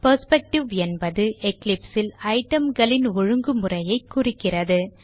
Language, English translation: Tamil, A perspective refers to the way items are arranged in Eclipse